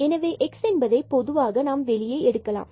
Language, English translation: Tamil, So, x we can take common here